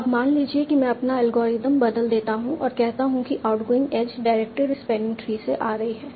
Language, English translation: Hindi, Now suppose I change my algorithm and say that the outgoing edge is coming from the dikted respiring tree